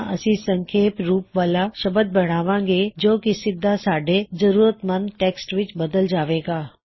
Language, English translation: Punjabi, Then we can create an abbreviation which will directly get converted into our required text